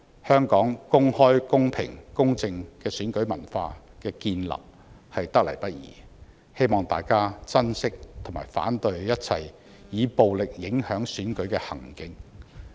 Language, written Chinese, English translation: Cantonese, 香港公開、公平、公正的選舉文化得來不易，希望大家珍惜並反對一切以暴力影響選舉的行徑。, The open fair and just election culture of Hong Kong did not come by easily . I hope Members will cherish it and oppose any violent attempts to manipulate the Election